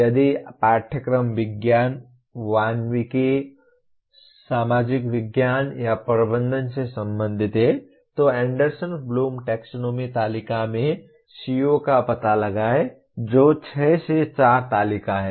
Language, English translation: Hindi, If the course belongs to sciences, humanities, social sciences or management locate COs in Anderson Bloom taxonomy table that is 6 by 4 table